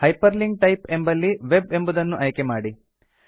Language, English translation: Kannada, In the Hyperlink type, select Web